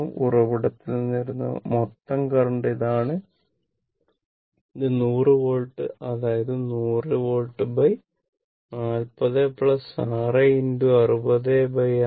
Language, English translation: Malayalam, This is the total current coming from the source; this i this 100 divided by this thing; that means, 100 volt divided by 40 plus 6 into 60 divided by 6 plus 60